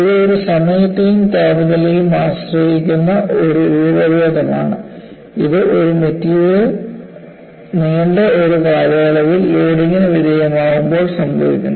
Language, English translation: Malayalam, It is a time and temperature dependent deformation, which occurs when a material is subjected to load for a prolonged period of time